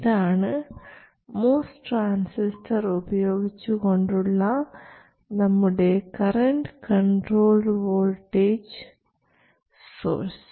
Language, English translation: Malayalam, We have synthesized the topology of the current controlled voltage source using a MOS transistor